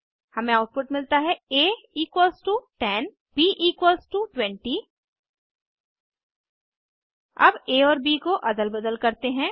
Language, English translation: Hindi, We get the output as a=10 b=20 Now lets swap a and b